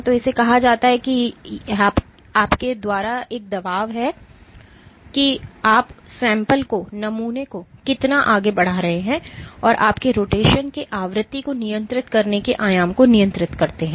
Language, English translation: Hindi, So, this is called, so this is your imposing a strain with how much your pushing the sample and your controlling the amplitude of rotation the frequency of rotation